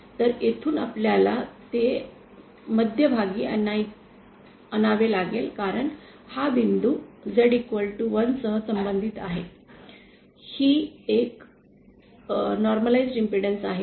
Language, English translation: Marathi, So, from here we will have to bring it to the centre because this is the point corresponding to Z equal to 1, this is a normalised impedance